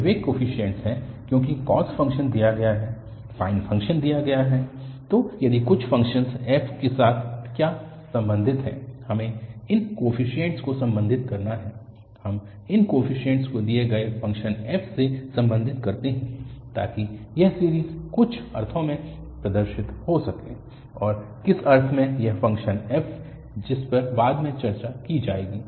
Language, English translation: Hindi, These are these coefficients, because cos function is given, sine function is given so what is to be related with the function f is that we have to relate these coefficients, we have to relate these coefficients to the given function f so that this series can represent in some sense, and in what sense this function f, that will be discussed later